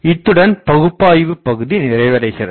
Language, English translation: Tamil, So, this concludes the analysis part